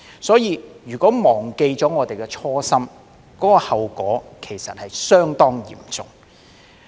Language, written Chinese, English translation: Cantonese, 因此，如果我們忘記了初心，後果其實會相當嚴重。, Therefore if we do not stay true to our original aspiration the consequences will be very serious indeed